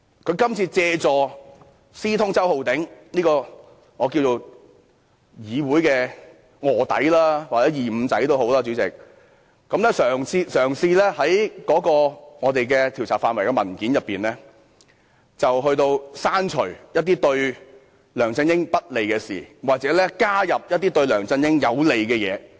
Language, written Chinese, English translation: Cantonese, 他這次借助私通周浩鼎議員這個議會的臥底或"二五仔"，嘗試在有關調查範圍的文件中，刪除一些對梁振英不利的表述，加入一些對梁振英有利的表述。, By colluding with Mr Holden CHOW an undercover agent or a double - crosser in the legislature LEUNG Chun - ying tried to delete statements unfavourable to him and add statements favourable to him in the paper on the scope of inquiry